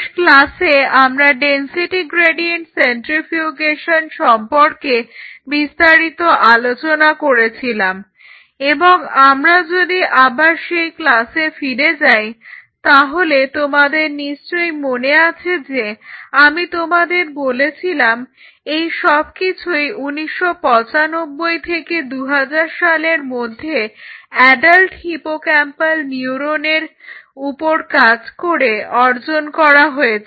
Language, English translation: Bengali, So, in the last class I introduced you and we talked extensively about the density gradient centrifugation and if we go back to the class you will realize that I told you that most of these works achieved on adult hippocampal neuron around 1995 to 2000